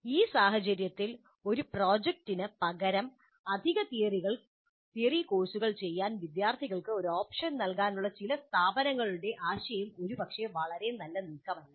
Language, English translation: Malayalam, In this context, the idea of some of the institutes to give an option to the students to do additional theory courses in place of a project probably is not a very good move